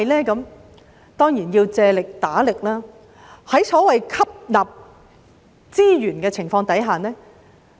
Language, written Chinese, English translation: Cantonese, 我們當然要借力打力，吸納資源。, We surely have to rely on other sources of help to absorb resources